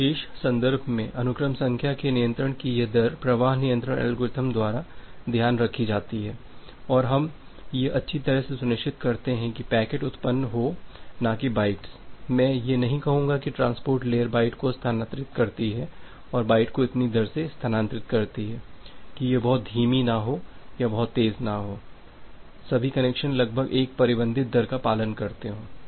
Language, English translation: Hindi, In that particular context this rate of control of sequence number that is taken care of by the flow control algorithm and we ensure that well the packets are generated or the bytes are not, I will not say generated that the transport layer transmits the byte transfers the byte in such a rate, so that it is not too slow or not too fast all the connections follow almost a bounded rate